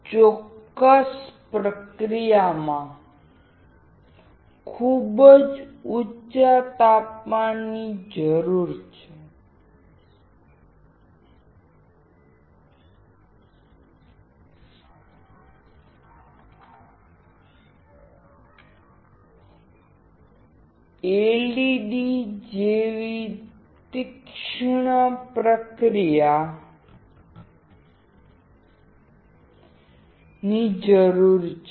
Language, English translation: Gujarati, In the particular process, very high chamber pressure is required; sharp topologies like LED is required